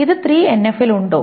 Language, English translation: Malayalam, Is this in 3NF